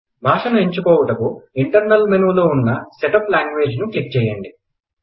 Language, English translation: Telugu, You can setup language by clicking Setup language option from the Internal Menu